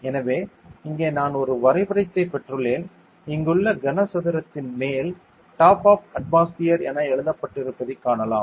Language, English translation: Tamil, So, here I have a got a diagram here you can see this cuboid over here in its written the top of the atmosphere over here